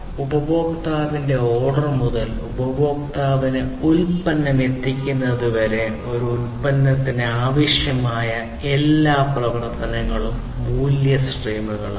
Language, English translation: Malayalam, So, value streams are all the actions that are required for a product from order by the customer to the delivery of the product to the customer